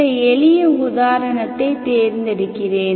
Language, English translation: Tamil, Let me choose some simple example